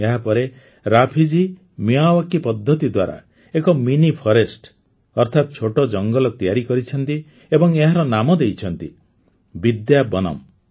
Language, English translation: Odia, After this, Raafi ji grew a mini forest with the Miyawaki technique and named it 'Vidyavanam'